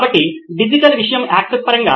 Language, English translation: Telugu, So, in terms of access to digital content